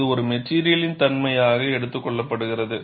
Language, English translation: Tamil, And this is taken as a material property